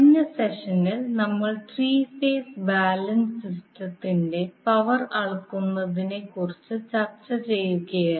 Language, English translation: Malayalam, In last session we were discussing about the power measurement for a three phase balanced system